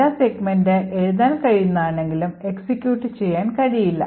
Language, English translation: Malayalam, So, note that the data segment is writable but cannot be executed